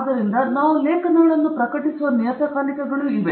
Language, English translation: Kannada, So, there are journals in which we publish articles